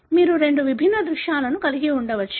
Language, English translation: Telugu, You could have two different scenarios